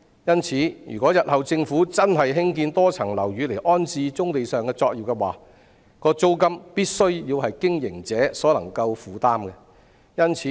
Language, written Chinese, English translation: Cantonese, 因此，如果政府日後真的興建多層樓宇以安置棕地上的作業，其租金必須是經營者可以負擔的。, Therefore if the Government really builds multi - storey buildings to accommodate the operations on brownfield sites the rental prices must be affordable to the operators